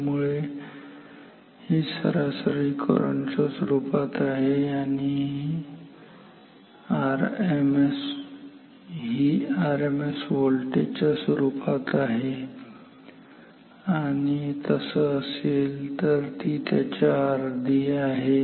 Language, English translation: Marathi, So, this is in terms of average current, this is in terms of RMS voltage and if so the half of it